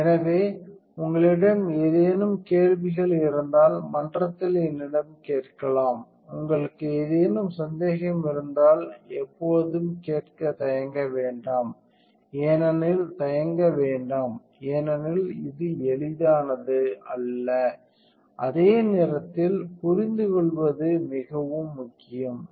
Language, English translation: Tamil, So, if you have any questions feel free to ask me in the forum, if you have any doubts you know always feel free to ask do not hesitate because this is not, so easy to understand and at the same time it is extremely important